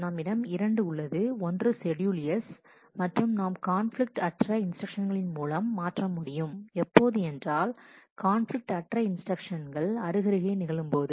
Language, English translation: Tamil, That we have 2 one schedule S, and we will swap non conflicting instruction, possibly since non conflicting instructions that occur side by side